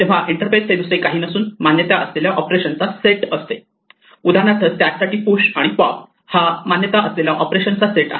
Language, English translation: Marathi, So an interface is nothing but the allowed set of operations, for instances for a stack the allowed set of operations are push and pop